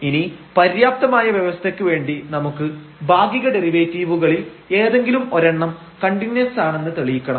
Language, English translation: Malayalam, So, we have the necessary conditions for the sufficient condition we have to show that one of the partial derivatives is continuous